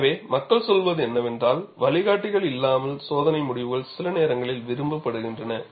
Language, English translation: Tamil, So, what people say is, test results without buckling guides are preferred sometimes